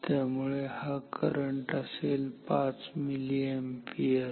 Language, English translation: Marathi, So, this will come out to be 5 milliampere